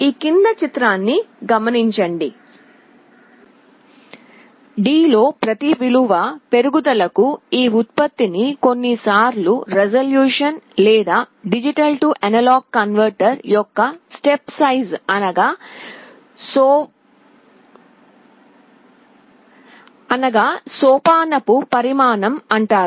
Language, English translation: Telugu, This increase in output for every one value increase in D is sometimes called resolution or the step size of a D/A converter